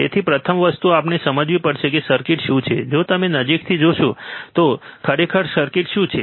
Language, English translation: Gujarati, So, first thing we have to understand what is the circuit, if you see closely, right what actually the circuit is